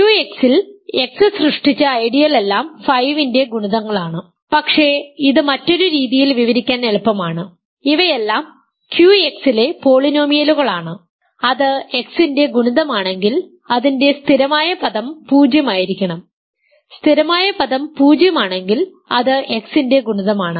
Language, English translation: Malayalam, The ideal generated by X in Q X is all multiples of 5, but it is easy to describe this in a different way, these are all polynomials in Q X if it is a multiple of X, its constant term must be 0 and if the constant term is 0 it is a multiple of x because constant term